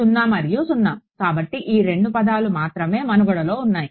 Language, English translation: Telugu, 0 and 0 right so only these two term survive